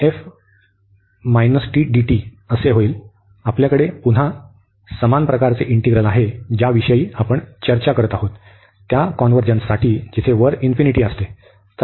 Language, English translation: Marathi, So, again we have a similar type integral, which we are discussing for the convergence where the infinity appears above